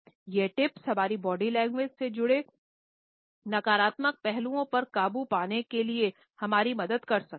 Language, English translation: Hindi, These tips may help us in overcoming the negative aspects related with our body language